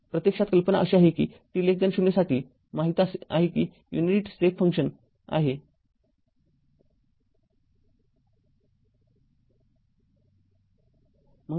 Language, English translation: Marathi, Actually idea is simply like this for t less than 0 we know the unit step function for t less than 0 u t is equal to 0